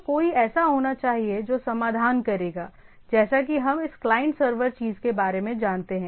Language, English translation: Hindi, So, there should be somebody will resolve, as we know about this client server thing